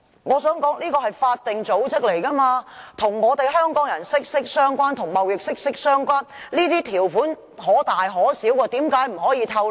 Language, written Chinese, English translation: Cantonese, 我想指出的是，貿發局是法定組織，與香港人及貿易息息相關，這些條款可大可小，為何不可以透露？, But are the contract terms not a kind of commercial secret? . What I would like to say is that TDC is a statutory organization which is closely related to Hong Kong people and trade development and these terms can be highly significant . Why can they not be divulged?